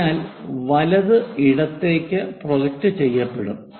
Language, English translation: Malayalam, So, right is projected to left